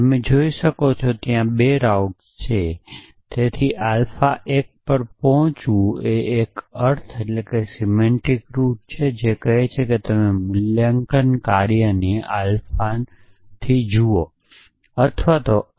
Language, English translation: Gujarati, So, as you can see there are 2 routs so arriving to alpha 1 is a semantics rout which says that you look at the meaning of alpha look at the valuation function